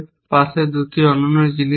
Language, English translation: Bengali, What are the 2 other things on the side